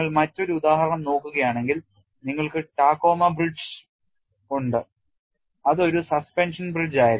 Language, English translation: Malayalam, And if you look at another example, you have the Tacoma Bridge which was a suspension bridge